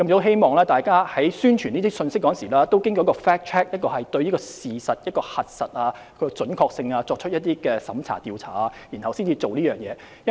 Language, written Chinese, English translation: Cantonese, 希望大家在發布這些信息時進行對事實的核實，就其準確性作出一些審查或調查後才發布。, I hope people will do fact checks before disseminating such information . They should examine or inspect its accuracy before dissemination